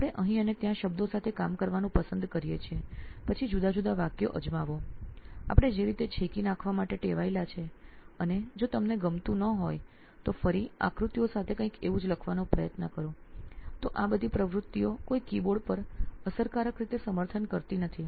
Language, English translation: Gujarati, We probably like to prefer work with words around here and there, then try different sentences if you do not like we are all used to striking off, then again try writing something similar with diagrams, so all these activities are not supported on a keyboard efficiently